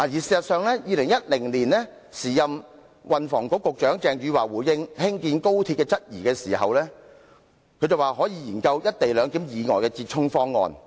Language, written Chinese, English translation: Cantonese, 事實上 ，2010 年時任運輸及房屋局局長鄭汝樺在回應議員對興建高鐵的質疑時，曾說可以研究"一地兩檢"以外的折衷方案。, As a matter of fact when addressing the queries raised by Members of this Council in 2010 concerning the construction of the XRL the then Secretary for Transport and Housing Eva CHENG had said that the Government might explore compromise schemes other than the co - location arrangement